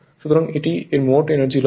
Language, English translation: Bengali, So, total energy loss